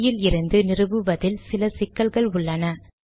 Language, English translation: Tamil, There is some difficulty in installing it from the CD